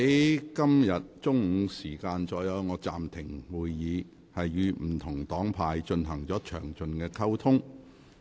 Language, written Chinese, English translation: Cantonese, 我在今天中午暫停會議後，與不同黨派議員進行了詳盡溝通。, After the meeting was suspended at noon today I had a good communication with Members belonging to different political parties and groupings